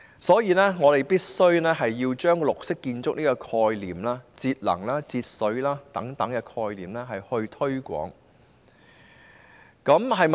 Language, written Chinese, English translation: Cantonese, 所以，我們必須推廣綠色建築、節能及節水等概念。, Therefore we have to promote the concepts of green buildings energy saving water saving and so on